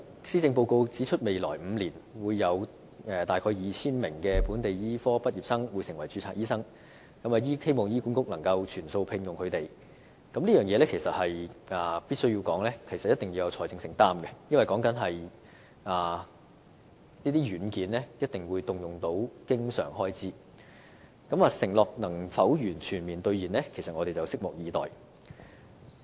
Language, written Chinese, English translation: Cantonese, 施政報告指出未來5年會有大約 2,000 名本地醫科畢業生成為註冊醫生，如要醫管局全數聘用他們，政府必須有一定的財政承擔，因為這些軟件一定須動用經常開支，承諾能否全面兌現，我們拭目以待。, The Policy Address pointed out that about 2 000 local medical graduates will register as medical practitioners in the next five years . In order for HA to employ all of them the Government must make certain financial commitment because such software definitely requires recurrent expenditure . As to whether the Government can fully honour its promise we will wait and see